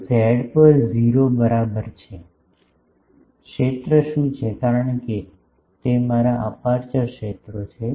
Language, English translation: Gujarati, So, at z is equal to 0 what are the fields; because those are my aperture fields